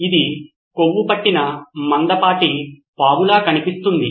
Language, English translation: Telugu, This looks like a fat thick snake